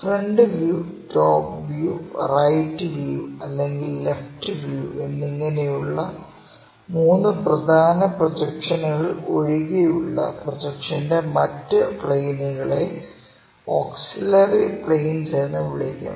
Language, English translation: Malayalam, The additional planes of projection other than three principal planes of projections that is of a front view, top view and right side or left side views, which will show true lengths are called these auxiliary planes